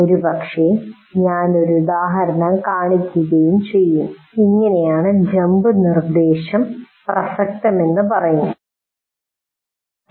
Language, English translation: Malayalam, Maybe I will show an example and say this is how the jump instruction is relevant